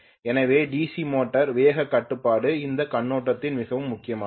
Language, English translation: Tamil, So DC motor speed control becomes very important from that point of view